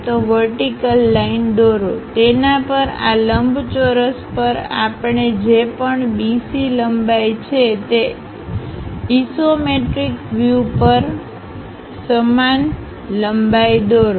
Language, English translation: Gujarati, So, draw a vertical line, on that, construct whatever BC length we have it on this rectangle even on the isometric view use the same length